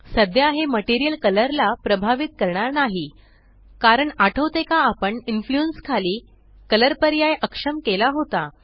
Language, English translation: Marathi, Right now it is not influencing the material color because remember we disabled the color option under Influence